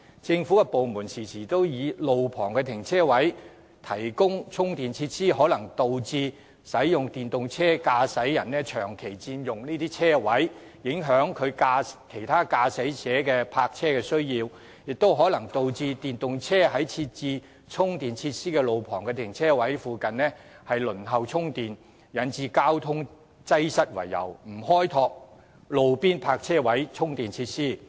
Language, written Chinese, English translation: Cantonese, 政府部門常常擔憂在路旁停車位提供充電設施，可能導致電動車駕駛者長期佔用停車位充電，影響其他駕駛者的泊車需要，亦可能導致電動車在設置充電設施的路旁停車位附近輪候充電，引致交通擠塞，因而不願開拓路邊泊車位充電設施。, The authorities have often expressed concern that if charging facilities are provided at roadside parking spaces these spaces may be permanently occupied by drivers of EVs for recharging their vehicles thus failing to cater for the parking demand of other motorists and causing traffic congestion in nearby areas as long queues of EVs may appear to wait for their turn to use the charging facilities . Hence the Government is reluctant to develop charging facilities at roadside parking spaces